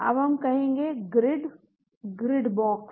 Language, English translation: Hindi, Now we say grid—Grid box